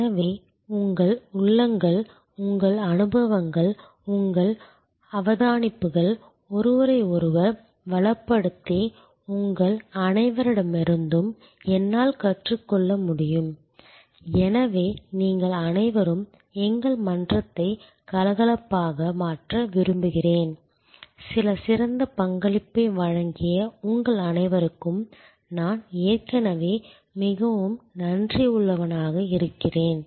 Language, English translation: Tamil, So, that your insides, your experiences, your observations can enrich each other and I can learn from all of you, so I would like all of you to make our forum lively, I am already very thankful to all of you for contributing some excellent material